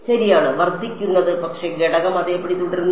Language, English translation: Malayalam, Increases ok, but the element stays the same